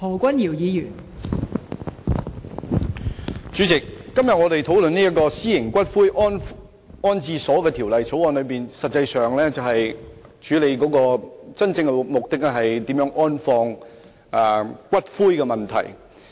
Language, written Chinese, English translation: Cantonese, 代理主席，我們今天討論《私營骨灰安置所條例草案》，真正的目的實際上是處理如何安放骨灰的問題。, Deputy Chairman the real purpose of this discussion on the Private Columbaria Bill the Bill today is to deal with the disposal of ashes